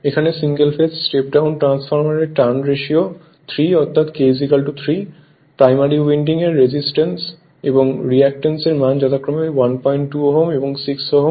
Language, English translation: Bengali, Here a single phase step down transformer has its turns ratio of 3; that is k is equal to 3, the resistance and reactance of the primary winding are 1